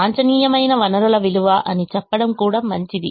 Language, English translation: Telugu, it's also good to say worth of the resources at the optimum